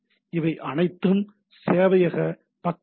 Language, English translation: Tamil, So, these are all server side error